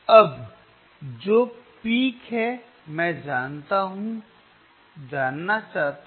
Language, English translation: Hindi, Now, which is the peak, I want to know